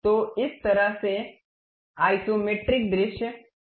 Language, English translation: Hindi, So, this is the way isometric view really looks like